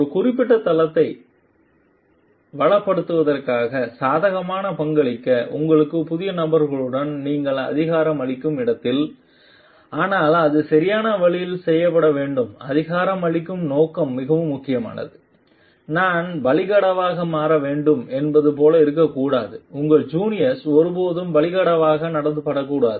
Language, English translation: Tamil, Where you are empowering your new people to contribute positively towards enriching a particular domain, but it should be done in a proper way the intention of empowering is very very important that it should not be like I should become the scapegoat your juniors should never be treated as scapegoat